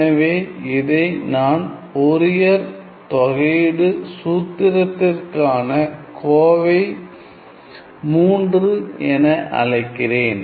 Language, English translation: Tamil, So, let me call this as my expression 3 for the Fourier integral formula